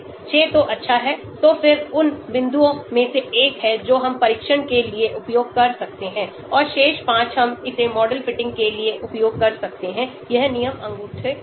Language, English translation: Hindi, 6 is good because then one of the points we can use it for test and the remaining 5 we can use it for model fitting , this is the rule thumb